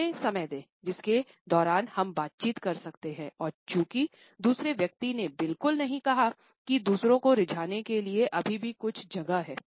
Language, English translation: Hindi, Give us a window of time during which we can negotiate and since the other person has not exactly said that there is still some space to persuade others